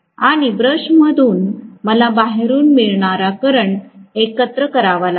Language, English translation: Marathi, And from the brush I will have to collect the current to the external world